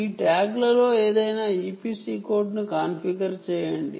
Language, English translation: Telugu, how do you configure any e p c code on that tag